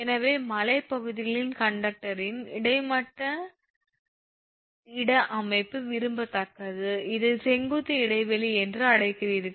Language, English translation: Tamil, So, in hilly areas that your horizontal space configuration of conductor is preferable, then you are what you call that vertical space vertical spacing